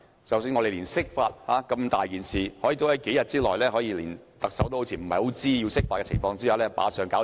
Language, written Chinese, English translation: Cantonese, 即使釋法那麼重大的事情，似乎亦可以在特首不太知情的情況下在數天內完成。, Even for such an important event as the interpretation of the Basic Law it seemed that the task could be completed within a few days without the Chief Executives full awareness